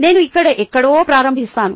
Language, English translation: Telugu, i will start somewhere here